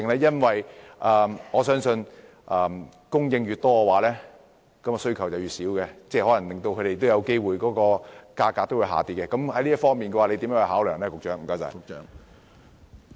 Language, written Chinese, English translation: Cantonese, 因為我相信供應越多，需求便越少，有機會令業主的收入減少，在這方面局長會如何作出考量？, As I believe that there will be less demand when supply increases which may result in less revenue for landowners what consideration will be made by the Secretary in this regard?